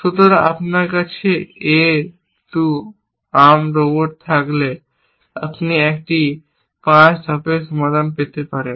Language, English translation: Bengali, So, you can get a 5 step solution if you had A 2 arm robot